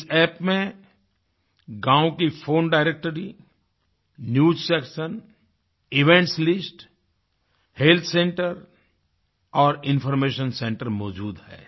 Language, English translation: Hindi, This App contains phone directory, News section, events list, health centre and information centre of the village